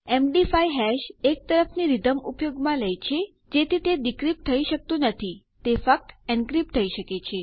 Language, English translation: Gujarati, The MD5 hash uses a one way out rhythm so it cannot be decrypted it can only be encrypted